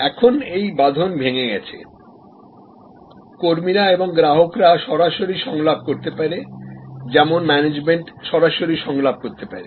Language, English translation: Bengali, Now, this barrier is dissolved, the employees and the customer consumers can be in direct dialogue as can management being direct dialogue